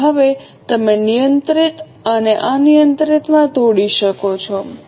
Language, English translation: Gujarati, So, now can you break down into controllable and uncontrollable